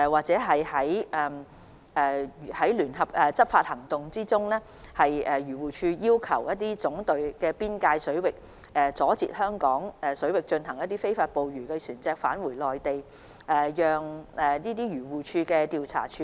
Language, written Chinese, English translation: Cantonese, 在聯合執法行動中，漁護署會在香港水域阻截非法捕魚的內地漁船返回內地水域，而未能成功攔截的內地漁船資料會轉交總隊調查處理。, In the joint enforcement operations AFCD will stop Mainland fishing vessels engaged in illegal fishing in Hong Kong waters from returning to Mainland waters and information on Mainland fishing vessels which have not been successfully intercepted will be submitted to the General Brigade for investigation and handling